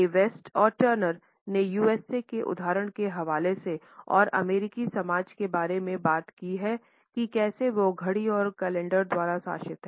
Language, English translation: Hindi, A West and Turner have quoted the example of the USA and have talked about how the American society is being governed by the clock and calendar